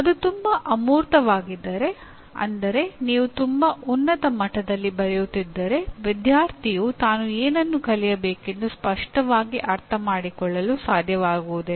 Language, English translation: Kannada, If it is too abstract that is at a very high level if you are writing, the student will not be able to understand clearly what he is expected to learn